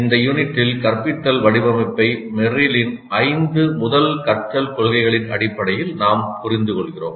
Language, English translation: Tamil, So in this unit we understand instruction design based on Merrill's five first principles of learning